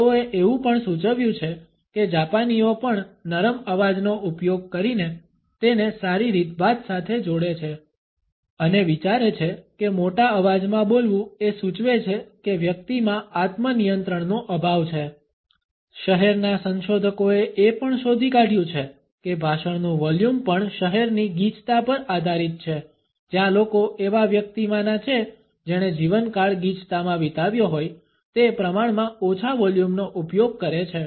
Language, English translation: Gujarati, They have also suggested that the Japanese also associate using a soft voice with good manners and think that speaking in a loud voice suggest that a person is lacking self control, city researchers also find that the volume of a speech is also conditioned by the city density where the people are from a person who has spent lifetime in a density would tend to use my relatively low volume